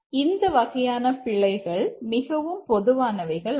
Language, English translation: Tamil, This kind of bugs are very common